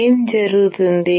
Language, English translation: Telugu, What will happen